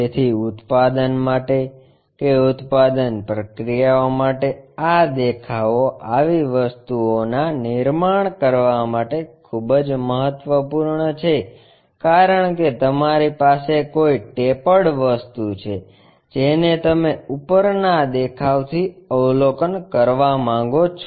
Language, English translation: Gujarati, So, for production, for manufacturing these views are very important to really construct these objects, because you have a tapered object you want to observe it from top view